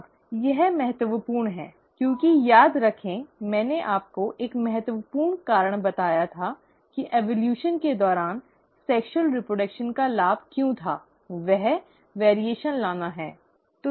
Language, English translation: Hindi, Now that is important, because remember, I told you one important reason why there was advantage of sexual reproduction during evolution, is to bring in variation